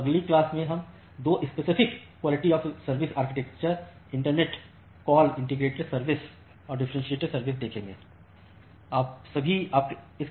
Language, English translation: Hindi, So, that is all in the next class we will look into 2 specific QoS architecture in the internet call integrated service and the differentiated service architecture